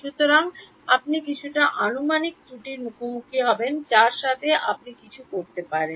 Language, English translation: Bengali, So, you will face some approximation error, anything else that you can do deal with